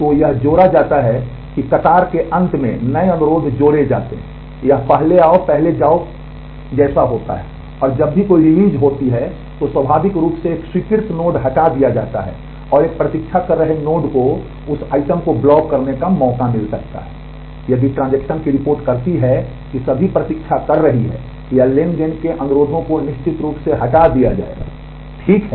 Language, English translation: Hindi, So, it is added new requests are added at the end of that queue, it is first in first out and whenever a release happens, then naturally a granted node is removed and a waiting node might get a chance to block that item, if the transaction reports all waiting, or granted requests of the transactions certainly will get deleted ok